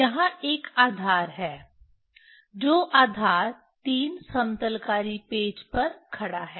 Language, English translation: Hindi, There is a base, which base stands on 3 leveling screw